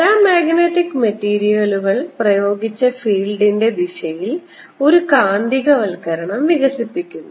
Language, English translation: Malayalam, paramagnetic materials develop a magnetization in the direction of applied field